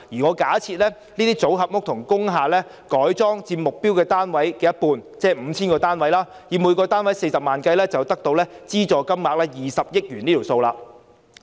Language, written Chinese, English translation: Cantonese, 我假設這類組合屋和改裝工廈佔目標單位的一半，即 5,000 個單位，以每個單位40萬元計算，資助金額便是20億元。, I assume that this type of modular social housing and converted industrial buildings will provide half of the targeted number of units . This will be 5 000 units . If each of these units requires 400,000 the subsidy will amount to 2 billion